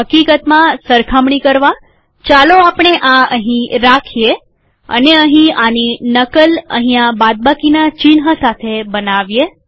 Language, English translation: Gujarati, In fact, for comparison purposes, let us keep this here and make a copy of this here with minus sign here